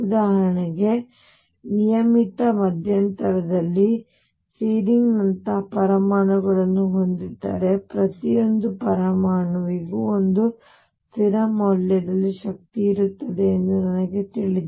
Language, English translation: Kannada, For example, if I have atoms like searing on regular interval a then I know that each atom has an energy at a fixed value